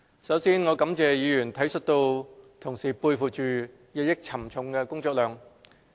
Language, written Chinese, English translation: Cantonese, 首先，我感謝議員體恤同事背負着日益沉重的工作量。, First of all I would like to thank Honourable Members for their appreciation of the increasing workload borne by my colleagues